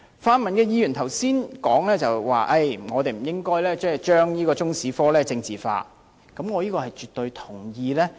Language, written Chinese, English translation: Cantonese, 泛民議員剛才提到不應該將中史科政治化，這點我絕對同意。, Some pan - democratic Members pointed out just now that we should not politicize the issue about teaching Chinese history to which I totally agree